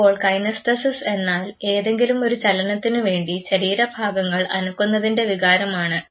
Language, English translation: Malayalam, Now, Kinesthesis is the feeling of motion of the body parts involved in some form of movement